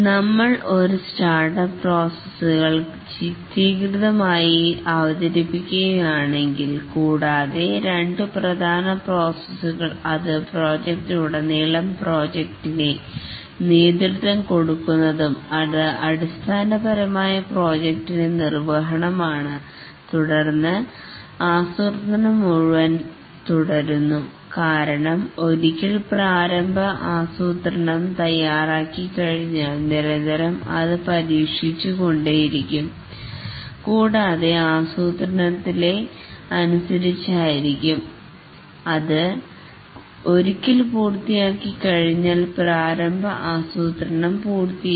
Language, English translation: Malayalam, If we represent that pictorially, there is a startup processes and then two main processes which exist throughout the project are the directing a project which is basically execution of the project and then planning continues throughout because once the initial plan is made it is continuously revised and based on the plan once the plan is complete initial plan is complete the project is initiated and the project undergoes various stages